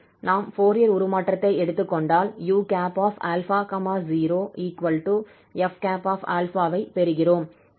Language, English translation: Tamil, So now we can apply this inverse Fourier transform to get u x, t